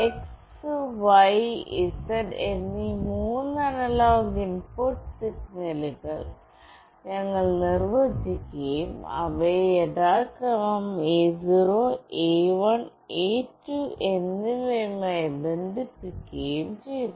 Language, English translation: Malayalam, We defined three analog input signals x, y, z and connected them to analog port numbers A0, A1 and A2 respectively